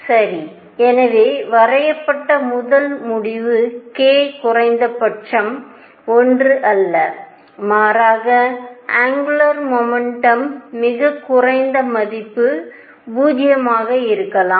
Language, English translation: Tamil, All right, so, first conclusion that was drawn is k minimum is not equal to 1, rather angular momentum lowest value can be 0